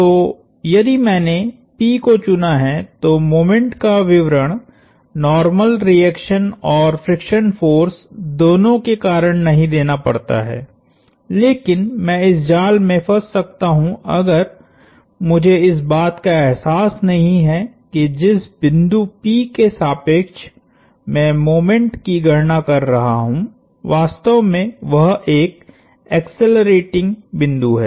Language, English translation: Hindi, So, if I chose p I do not have to account for the moments due to both the normal reaction and the friction force, but I may fall in this trap of not realizing that p, the point about which I am computing the moments is actually an accelerating point